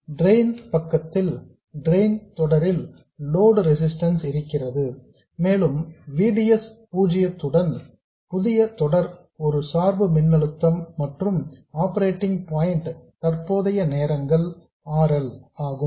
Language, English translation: Tamil, And on the drain side we have the load resistance in series with the drain and we have to have a bias voltage which is VDS 0 plus the operating point current times RL